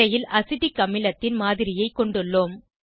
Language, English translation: Tamil, We have a model of Acetic acid on screen